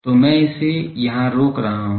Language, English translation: Hindi, So, I stop it here